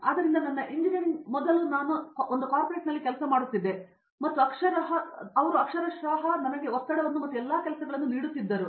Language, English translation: Kannada, So, before I did my engineering then I was working in corporate and they were literally giving me all the stress and all the work